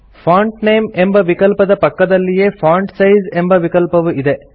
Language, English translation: Kannada, Beside the Font Name field , we have the Font Size field